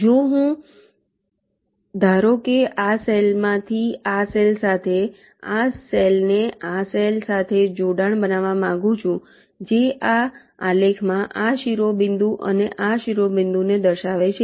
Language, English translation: Gujarati, if suppose i want to make a connection from this cell to this cell, this cell to this cell, which in this graph represents this vertex and this vertex